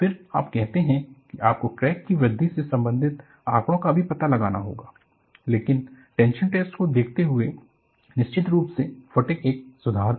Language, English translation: Hindi, Then you say that, you will have to find out even the data pertaining to crack growth, but considering the tension test, definitely fatigue was an improvement